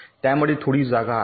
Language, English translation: Marathi, there is some space in between